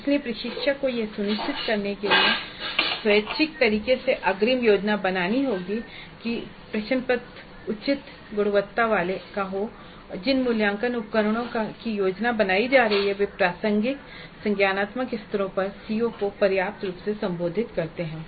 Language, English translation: Hindi, So, the instructor has to have upfront planning to ensure that the question paper is of reasonable quality, the assessment instruments that are being planned do address the CBOs sufficiently at the relevant cognitive levels